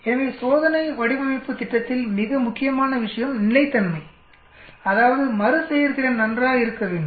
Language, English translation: Tamil, So the most important thing in experimental design strategy is consistency that is repeatability has to be good